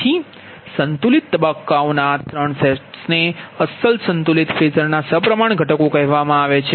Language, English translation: Gujarati, so therefore these three sets of balanced phasors are called symmetrical components of the original unbalanced phasor